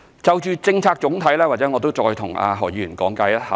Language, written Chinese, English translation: Cantonese, 就着總體政策，或許我再向何議員稍作講解。, Regarding the overall policy perhaps let me briefly explain it again to Mr HO